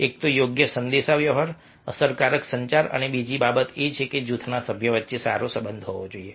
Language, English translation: Gujarati, one is that proper communication, effective communication, and second thing is that group members should have a good relationship